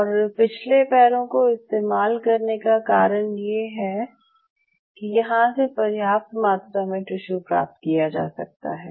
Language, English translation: Hindi, Reason they do it from the hind limb is that you get sufficient amount of tissue